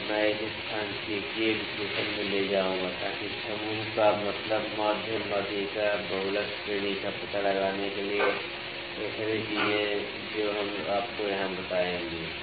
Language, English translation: Hindi, And, I will take this to the statistical analysis to find the group means to find mean, median, mode range all those things we will tell you there